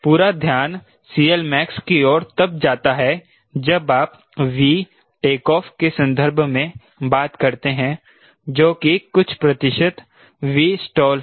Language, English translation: Hindi, point three: to the whole attention goes when you talk in terms of v take off, which is some percentage of v stall